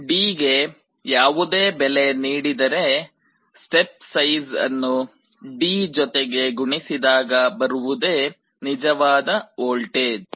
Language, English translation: Kannada, So, whatever value you are applying to D, that step size multiplied by D will be the actual voltage you will be getting